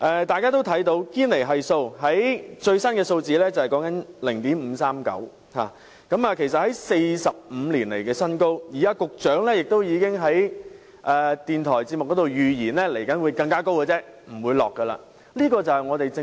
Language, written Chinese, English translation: Cantonese, 大家也留意到堅尼系數最新錄得 0.539， 其實是45年來的新高，而局長亦已在電台節目中預測未來的數字只會更高，不會下調。, As Members may have noticed the latest Gini Coefficient has hit a 45 - year record high of 0.539 . The Secretary has also predicted on the radio that the Gini Coefficient will only go up in the future